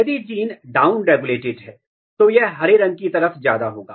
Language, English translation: Hindi, If gene is down regulated then it will be more towards the green